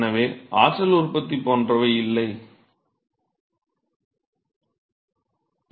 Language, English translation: Tamil, So, we assume that there is no energy generation etcetera